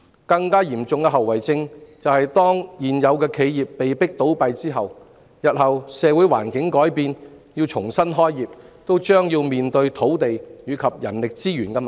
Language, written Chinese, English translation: Cantonese, 更嚴重的後遺症是，如現有企業被迫倒閉，日後當社會環境改變而它們又想重新開業，也將面對土地及人力資源問題。, An even more serious consequence is that if the existing players that are forced to close down now wish to make a comeback in the future as the social environment changes they will face problems in land and human resources